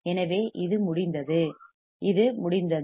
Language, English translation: Tamil, So, this one is done this is done